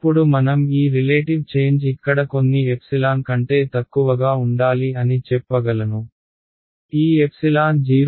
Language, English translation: Telugu, Now I can say that this relative change over here should be less than let us say some epsilon; this epsilon can be something like you know you know 0